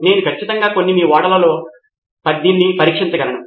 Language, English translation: Telugu, I can certainly test this with some of your ships